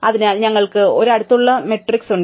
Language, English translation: Malayalam, So, we have an adjacency matrix